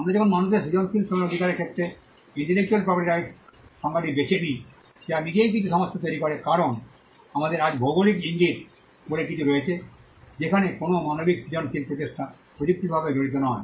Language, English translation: Bengali, When we pick the definition of intellectual property right to human creative Labour that itself creates some problems because, we have today something called geographical indications where no human creative effort is technically involved